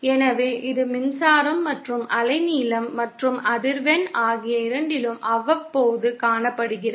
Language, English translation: Tamil, So, it is periodic, both in electrical as well as wavelength and as well as frequency as we shall see later